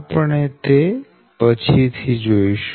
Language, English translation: Gujarati, this we will see later